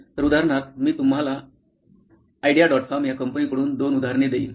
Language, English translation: Marathi, So, for example, I will give you two examples from this company called ideo